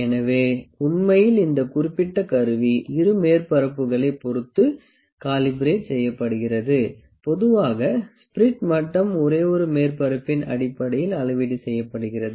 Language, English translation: Tamil, So, actually this specific instrument is calibrated for both the surfaces, in general spirit level is calibrated based on only one surface